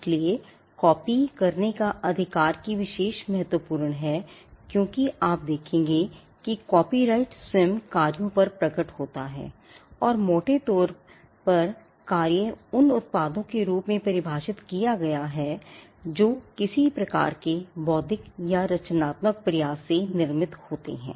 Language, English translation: Hindi, So, the right to make copies this distinction is important because, you will see that copyright manifest itself on works and works have been largely defined as products that come from some kind of an intellectual or a creative effort